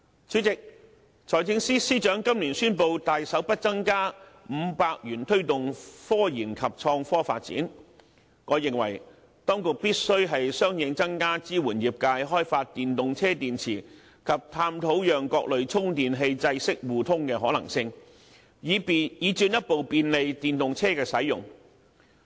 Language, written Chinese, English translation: Cantonese, 主席，財政司司長今年宣布大手預留額外500億元推動科研及創科發展，我認為當局必須相應增加支援業界開發電動車電池及探討讓各類充電器制式互通的可能性，以進一步便利電動車的使用。, President in the light that the Financial Secretary announced this year that he has generously earmarked an additional sum of over 50 billion to further speed up the development of innovation and technology as well as scientific research I consider it necessary that the authorities take corresponding actions to support the industry to develop EV batteries and explore the possibility of interoperability among chargers of various standards so as to further facilitate the use of EVs